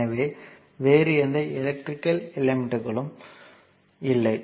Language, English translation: Tamil, So, no other electrical element is there